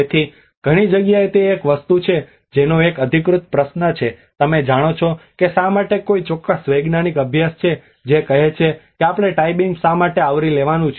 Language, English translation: Gujarati, So in many places that is one thing the authentic question you know why is there any particular scientific study which says that why we have to cover the tie beam